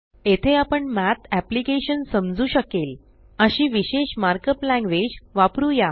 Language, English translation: Marathi, Here we will use a special mark up language that the Math application can understand